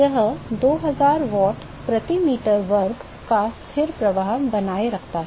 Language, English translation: Hindi, It maintains a constant flux of 2000 watt per meter square